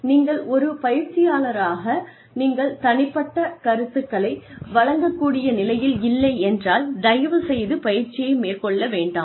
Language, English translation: Tamil, If, you are not in a position as a trainer, if you are not in a position to give individual feedback, please do not undertake training